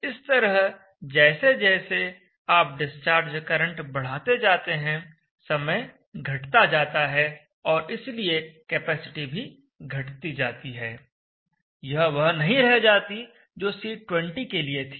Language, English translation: Hindi, So as you start going higher id discharge current, lesser and lesser time results and therefore the capacity also reduces it is not same as what you started of with the C20